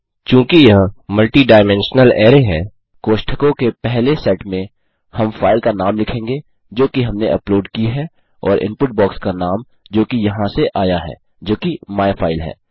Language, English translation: Hindi, Since this is a multidimensional array, in the first set of brackets well type the name of the file that we have uploaded and the name of the input box from which it came from that is myfile